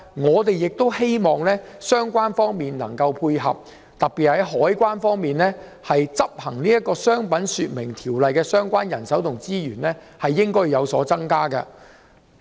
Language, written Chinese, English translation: Cantonese, 我們希望有關方面能作出配合，特別是海關在執行《商品說明條例》方面的人手及資源應予以增加。, We hope that the relevant departments can work together and take matching measures especially to increase the manpower and resources of CED for enforcing the Trade Descriptions Ordinance TDO